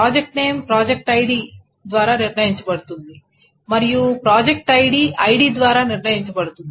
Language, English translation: Telugu, So because project name is determined by project ID, which in turn is determined by ID